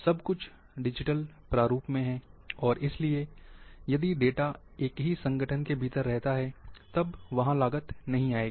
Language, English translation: Hindi, Since everything is in digital format, and therefore,if the data remain within same organization, then, the cost will not come there